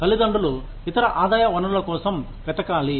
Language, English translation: Telugu, Parents will have to search for, other sources of income